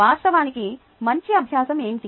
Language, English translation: Telugu, so what is better learning